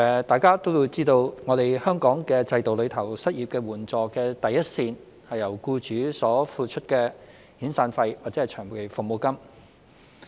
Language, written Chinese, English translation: Cantonese, 大家也知道在香港的制度中，失業援助的第一線是僱主所支付的遣散費或長期服務金。, As we all know under the system in Hong Kong the severance payment or long service payment paid by the employers serve as the first line of unemployment assistance